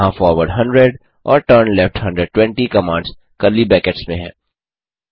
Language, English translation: Hindi, Here the commands forward 100 and turnleft 120 are within curly brackets